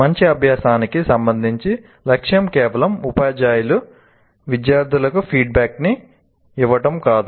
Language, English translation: Telugu, Now, with respect to good practice, the goal is not merely to give feedback to teacher giving feedback to the students